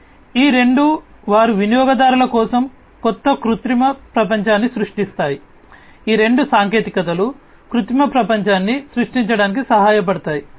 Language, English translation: Telugu, So, both of these they create new artificial world for the users, both of these technologies can help create this artificial world